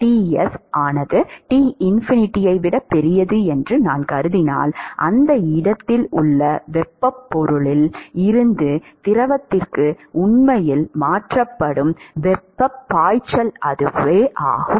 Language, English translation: Tamil, If I assume that Ts is greater than Tinfinity, so, that is the flux of heat that is actually transferred from the solid to the fluid at that location